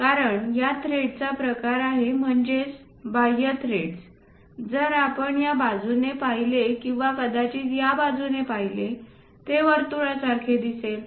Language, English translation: Marathi, Because its a thread kind of thing external thread, if you are looking from this side or perhaps from this side it looks like a circle